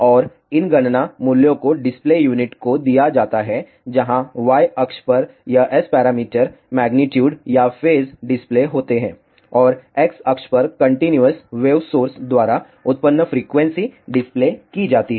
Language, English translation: Hindi, And, these calculated values are given to the display unit, where on the Y axis this S parameter magnitudes or phases are displayed and on the X axis the frequency which is generated by the continuous wave source is displayed